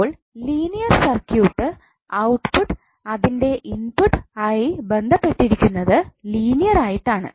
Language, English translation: Malayalam, So in the linear circuit the output is linearly related to it input